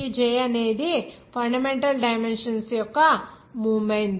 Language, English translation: Telugu, J is the number of fundamental dimensions